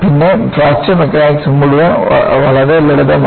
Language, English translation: Malayalam, Then, the whole of Fracture Mechanics became very simple